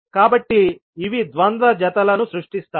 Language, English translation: Telugu, So, these create the dual pairs